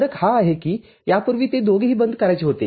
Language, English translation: Marathi, The difference is, earlier both of them were to be closed